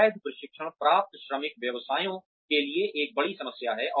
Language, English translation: Hindi, Poaching trained workers is a major problem for businesses